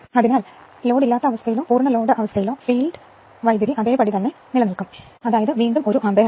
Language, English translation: Malayalam, So, at no load or full or at this load field current will remain same, again it is 1 ampere